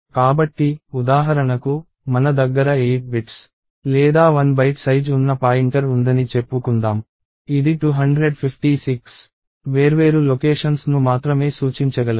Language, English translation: Telugu, So, for instance let us say I have a pointer of size 8 bits or 1 byte; it can only point to 256 different locations